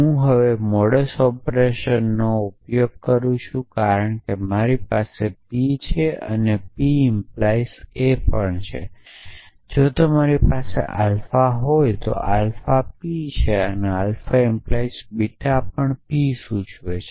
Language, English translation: Gujarati, So, I can use now modus ponens because I have p and I have p implies a I can add a remember modus ponens say if you have alpha, alpha is p and alpha implies beta is p implies